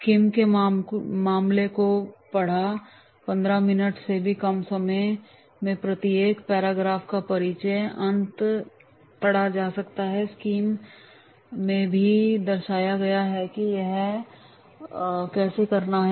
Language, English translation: Hindi, Scheme read the case in less than 15 minutes read the introduction and end of each paragraph and scheme all exhibits